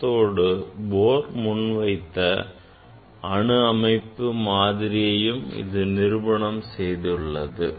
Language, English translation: Tamil, It confirms the atomic structure; atomic structure proposed by the Bohr